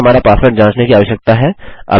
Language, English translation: Hindi, We need to check our password